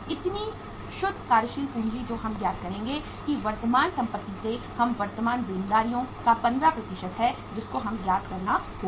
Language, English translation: Hindi, So net working capital which we will work out that is the current assets minus current liabilities 15% of that we will have to further work out